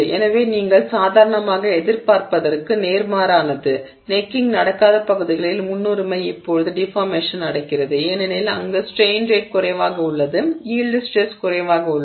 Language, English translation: Tamil, Preferentially now deformation is happening in regions where necking has not happened because there the strain rate is less and therefore the yield stress is less